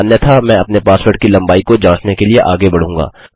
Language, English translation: Hindi, Otherwise I will proceed to check my password length